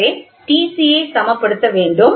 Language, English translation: Tamil, So, when T c has to be balanced